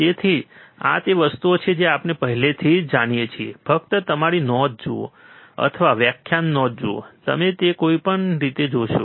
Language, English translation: Gujarati, So, these are the things we already know so, just quickly look at your notes, or look at the lecture notes, and you will see anyway